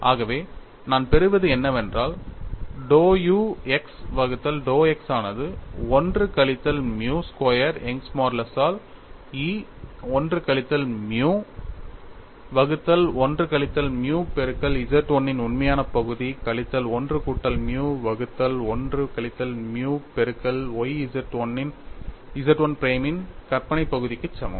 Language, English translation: Tamil, So, I get dou u x by dou x equal to 1 minus nu squared by Young's modulus 1 minus nu by 1 minus nu multiplied by a real part of Z 1 minus 1 plus nu by 1 minus nu y imaginary part of Z 1 prime, and epsilon y y equal to dou u y divided by dou y equal to 1 minus nu squared by E multiplied by 1 minus nu by 1 minus nu real part of Z 1 plus 1 plus nu by 1 minus nu y imaginary part of Z 1 prime